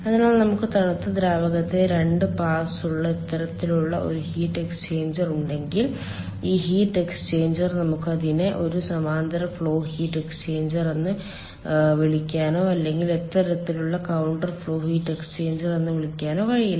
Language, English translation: Malayalam, so if we have this kind of a heat exchanger which is having two pass for the cold fluid, then this heat exchanger we can neither call it a parallel flow heat exchanger, nor we call it, nor we can call it as a ah, counter flow heat exchanger